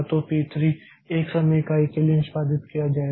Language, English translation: Hindi, Then p 3 will be executed for 1 time unit